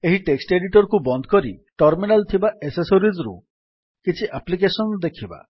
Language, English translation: Odia, Lets close this text editor and lets see some application from accessories that is Terminal